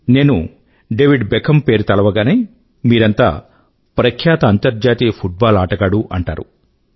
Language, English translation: Telugu, If I now take the name of David Beckham, you will think whether I'm referring to the legendary International Footballer